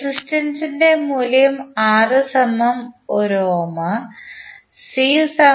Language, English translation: Malayalam, The value of resistance R is 1 ohm, capacitance is 0